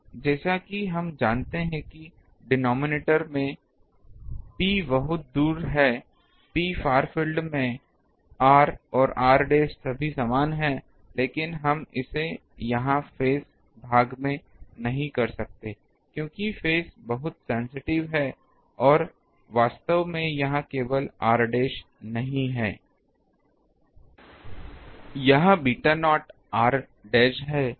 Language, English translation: Hindi, Now, in the as we know that in the ah denominator, we can since P is far away P is in the far field r and r dash they are all equal, but we cannot do this here in the phase part, because phase is very much sensitive and actually it is not only r dash it is beta naught into r dash